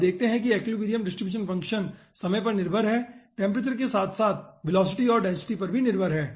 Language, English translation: Hindi, you see, equilibrium distribution function is dependent on the time, dependent on the temperature, as well as it is dependent on the velocity and density